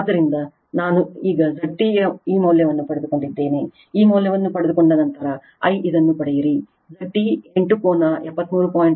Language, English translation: Kannada, Then you get I this one your Z T, you will get 8 angle 73